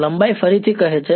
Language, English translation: Gujarati, The length say that again